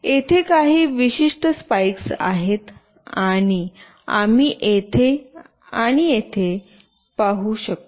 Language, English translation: Marathi, There are certain spikes as well we can see here and here